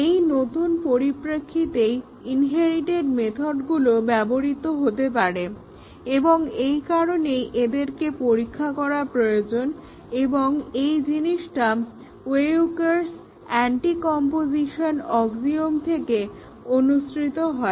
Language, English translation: Bengali, There can be new methods in the derived class and that is the new context with which the inherited methods will be used and therefore, they need to be tested and this is what follows from the Weyukar's Anticomposition axiom